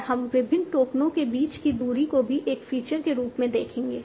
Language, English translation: Hindi, And we will also see the distance between different tokens as one of the features